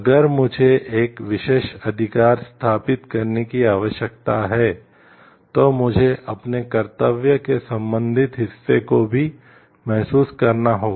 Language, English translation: Hindi, If I need to establish a particular right then I need to realize my corresponding part of duty also